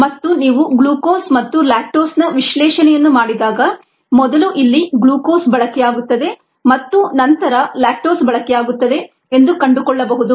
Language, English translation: Kannada, and when you do the analysis of glucose and lactose, one finds that glucose gets consumed here first and then lactose gets consumed